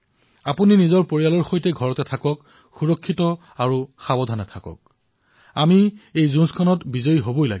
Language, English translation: Assamese, Stay at home with your family, be careful and safe, we need to win this battle